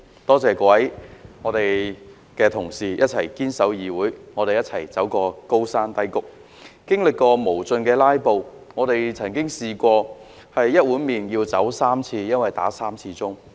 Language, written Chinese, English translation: Cantonese, 多謝各位同事一起堅守議會，我們一同走過高山低谷，經歷過無盡的"拉布"，曾試過吃一碗麵要3次走開，因為響了3次傳召鐘。, I thank fellow colleagues for standing our ground and experiencing all the ups and downs with me in the legislature where endless filibusters were launched and we were onced interrupted three time while eating a bowl of noodle because the summoning bell had been rung thrice